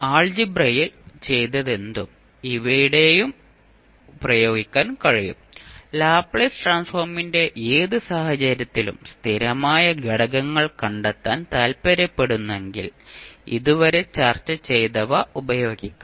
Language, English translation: Malayalam, That means that whatever did in Algebra, the same can be applied here also, if you want to find out the, the constant components in any case of the Laplace Transform, which we discussed till now